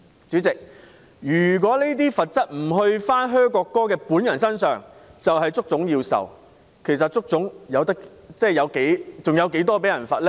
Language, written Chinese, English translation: Cantonese, 主席，如果"噓"國歌的人不接受懲罰，而要由足總承受，足總還有多少錢被罰呢？, Chairman if those who boo the national anthem are not penalized but HKFA is instead held liable how much more money does HKFA have to spend on the fine?